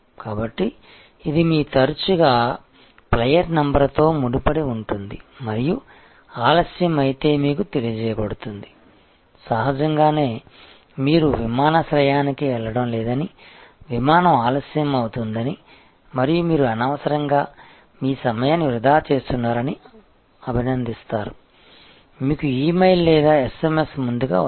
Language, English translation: Telugu, So, it is tied in with your frequent flyer number and so delays are inform to you and these; obviously, will appreciate that you are not going to the airport, flight is delayed and you are unnecessary wasting your time, you get an E mail or an SMS early enough